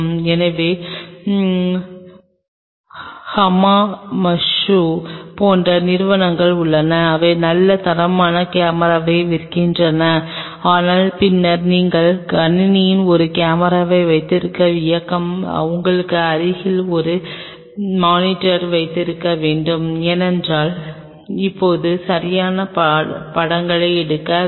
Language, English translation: Tamil, So, there are companies like Hamamatsu they really sell good quality camera, but then the very movement you are having a camera into the system you have to have a monitor adjacent to you because in order take pictures now right